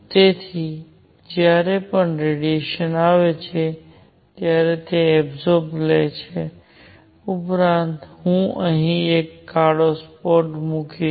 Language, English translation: Gujarati, So, that whenever radiation falls on that it gets absorbed plus I will put a black spot here